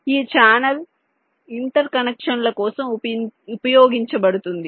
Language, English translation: Telugu, this channel is used for interconnection